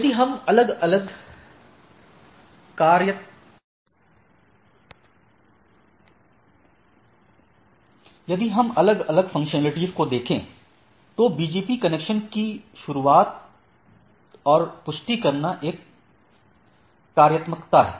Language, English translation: Hindi, Now, if we look at the different functionalities, one is opening and confirming BGP connection is the functionality